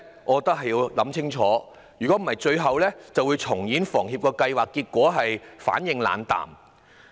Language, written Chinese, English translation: Cantonese, 我覺得需要想清楚，否則最後只會重演房協有關計劃的結果：反應冷淡。, I think we need to think carefully . Otherwise in the end we will only get the same result as that of the relevant scheme of HKHS a lukewarm response